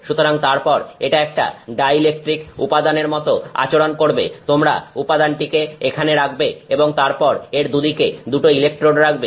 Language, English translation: Bengali, So, it then behaves like a dielectric material you put this material here and then on either side you put to electrodes